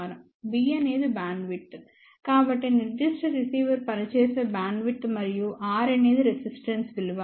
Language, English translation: Telugu, B is bandwidth, so bandwidth over which that particular receiver is operating and R is the resistance value